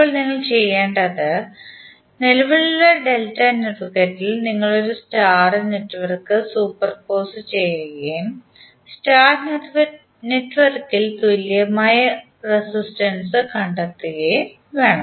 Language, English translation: Malayalam, Now what you have to do; you have to superimpose a star network on the existing delta network and find the equivalent resistances in the star network